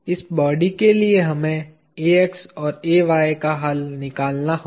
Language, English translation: Hindi, For this body we have to solve for Ax and Ay